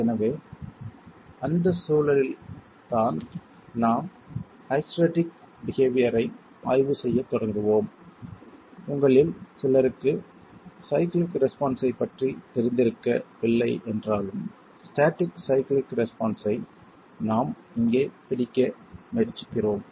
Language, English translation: Tamil, So it is in that context we will start examining hysteretic behavior and though some of you may not be familiar with cyclic response, static cyclic response is what we are trying to capture here